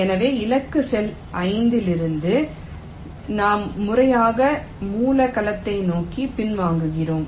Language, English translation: Tamil, so from the target cell t, we systematically backtrack towards the source cell